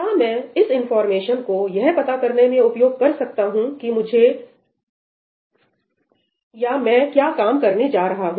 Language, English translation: Hindi, Can I use this information to figure out what work I am going to do